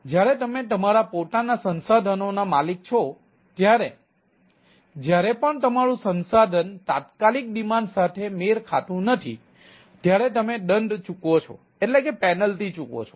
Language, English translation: Gujarati, when owning your own resource, you pay penalty whenever your resource do not match with the instantaneous demand right